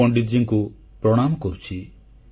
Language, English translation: Odia, I render my pranam to Pandit ji